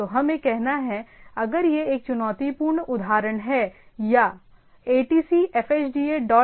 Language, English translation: Hindi, So, what we have say, if this is a typical example of say challenger or “atc fhda dot edu”